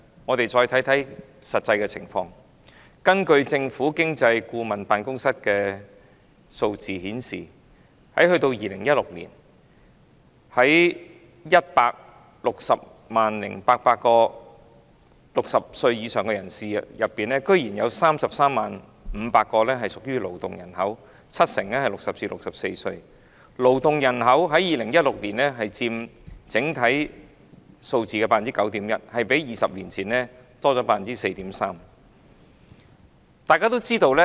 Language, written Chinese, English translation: Cantonese, 我們看看實際的情況，政府經濟顧問辦公室的數字顯示，於2016年，在 1,600 800名60歲以上人士當中，竟然有 330,500 人屬於勞動人口，七成介乎60至64歲，佔2016年整體勞動人口數字的 9.1%， 較20年前多出 4.3%。, Let us take a look at the actual situation . The figures provided by the Office of the Government Economist reveal that in 2016 among the 1 600 800 people aged over 60 330 500 people were in the labour force . Seventy percent of them were aged between 60 and 64 years accounting for 9.1 % of the total working population in 2016 which is 4.3 % more than that of 20 years ago